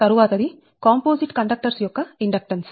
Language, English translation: Telugu, so next is the inductance of composite conductors